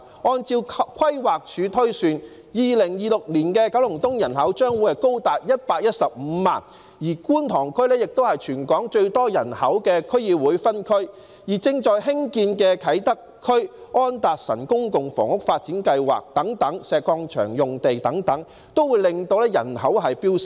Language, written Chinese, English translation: Cantonese, 按照規劃署推算 ，2026 年的九龍東人口將高達115萬，觀塘區亦是全港最多人口的區議會分區，而正在興建的啟德發展區、安達臣道公共房屋發展計劃和石礦場用地發展等均會令人口飆升。, According to the projections of the Planning Department the population of Kowloon East will be as high as 1.15 million in 2026 . Kwun Tong is also the District Council district with the largest population in Hong Kong and the Kai Tak Development Area under construction the Anderson Road Public Housing Development as well as the development of the Quarry site will likewise lead to a surge in population